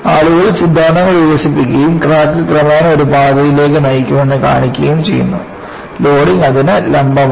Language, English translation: Malayalam, People have developed theories and showed that crack will eventually take a path such that, the loading is perpendicular to that